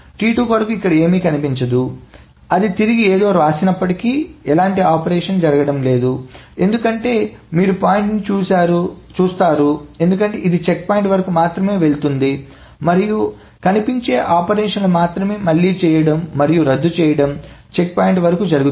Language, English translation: Telugu, For T2, nothing appears here, so no operation is being done, even though it has written something back, because you see, the point is it goes only up to the checkpoint, and does the redoing and undoing of only those operations that appear up to the checkpoint